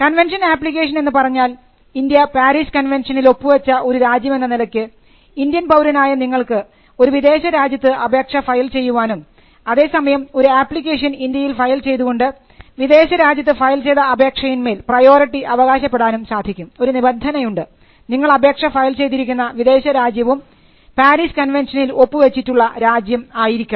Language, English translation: Malayalam, The convention application is, because India is a party to the Paris convention, you can file an application in a foreign country and then you can file a convention application in India, seeking the priority from that foreign application, provided the foreign country is also a signatory to the Paris convention